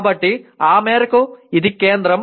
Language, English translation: Telugu, So to that extent this is central